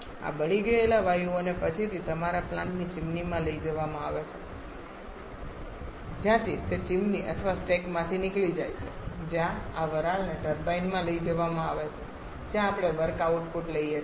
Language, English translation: Gujarati, These burnt out gases are subsequently taken to the chimney of your plant from where that goes off chimney or stack where this steam is taken to the turbine where we have the work output taken